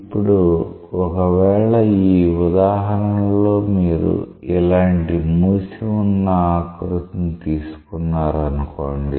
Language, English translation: Telugu, Now, if in this example, you take a closed contour like this this